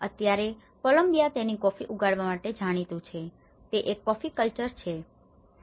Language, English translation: Gujarati, Now Columbia is known for its coffee growing, it’s a coffee culture